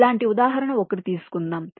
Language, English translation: Telugu, so lets take an example illustration